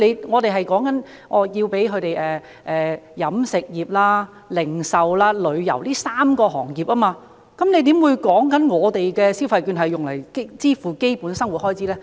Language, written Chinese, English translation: Cantonese, 我們說的是飲食業、零售和旅遊這3個行業，局長怎會說是以我們提議的消費券用作支付基本生活開支呢？, We are concerned about three industries ie . catering retail and tourism industries . How could the Secretary suggest using the consumption vouchers that we propose to meet basic living expenses?